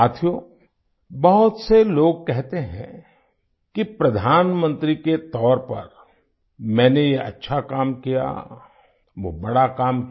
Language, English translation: Hindi, Friends, many people say that as Prime Minister I did a certain good work, or some other great work